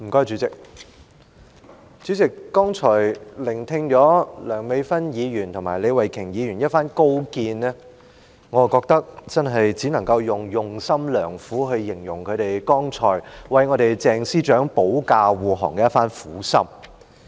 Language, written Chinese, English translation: Cantonese, 主席，剛才聽罷梁美芬議員及李慧琼議員的一番高見，我覺得只能夠用"用心良苦"一詞，來形容她們剛才為鄭司長保駕護航的一番苦心。, President having just listened to the insightful remarks of Dr Priscilla LEUNG and Ms Starry LEE I feel only able to use the word well - intentioned to describe their sincere eagerness to defend Secretary CHENG just now